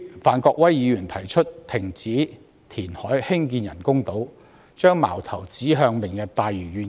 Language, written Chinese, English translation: Cantonese, 范國威議員提出停止填海興建人工島，把矛頭指向"明日大嶼願景"。, Mr Gary FAN proposes to stop the construction of artificial islands through reclamation aiming his spear at Lantau Tomorrow Vision